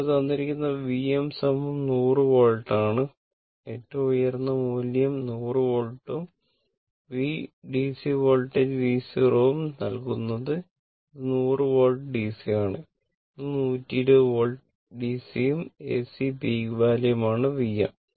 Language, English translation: Malayalam, It is given V m is equal 100 volt that is the peak value is given 100 volt and V your what you call and DC voltage V 0 is given this is 100 volt DC this is 120 volt DC right and AC peak value V m